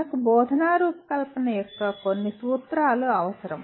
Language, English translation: Telugu, And we need some principles of instructional design